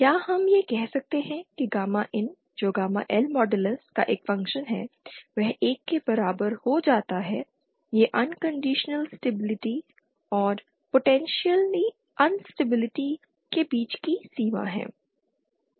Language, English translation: Hindi, So then, can we say that the condition that gamma in which is a function of gamma L modulus becomes equal to 1 this is the boundary between unconditional stability and potential instability